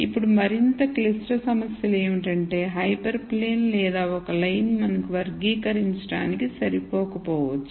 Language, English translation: Telugu, Now, more complicated problems are where hyper plane or a line might not be enough for us to classify